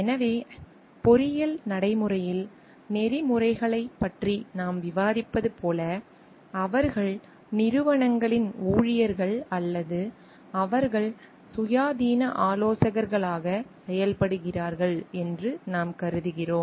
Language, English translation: Tamil, So, as we understand like we are discussing about ethics in engineering practice, we assume like they are employees of organizations or they are functioning as independent consultants